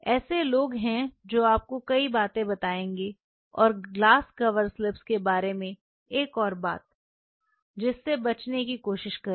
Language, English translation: Hindi, There are people who will tell you several things and one more thing try to avoid with glass cover slips